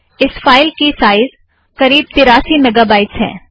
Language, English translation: Hindi, It is a large file, about 83 mega bytes